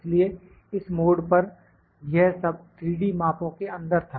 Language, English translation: Hindi, So, at this juncture this was all in 3D measurements